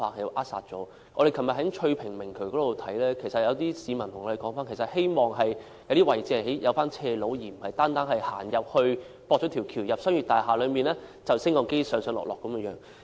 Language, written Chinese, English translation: Cantonese, 昨天我們在翠屏明渠視察時，有市民表示希望在一些位置興建斜路，而並非單是興建天橋接駁至進入商業大廈內，然後再乘搭升降機上落。, Yesterday during our site visit to the Tsui Ping Nullah some members of the public said that they hope to have ramps provided at some places instead of only footbridges linking up and passing through commercial buildings which require pedestrians to use an elevator to access the footbridges